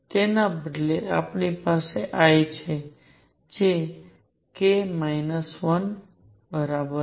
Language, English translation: Gujarati, Instead what we have is l which is equal to k minus 1